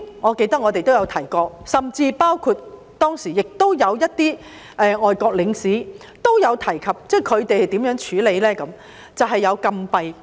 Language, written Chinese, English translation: Cantonese, 我記得我們曾經提及，甚至當時一些外國領事也提及他們如何處理非法入境者，就是設立禁閉式收容中心。, As far as I remember we did mention and some foreign consulates also mentioned how their countries deal with the illegal immigrants and that is by way of setting up closed reception centres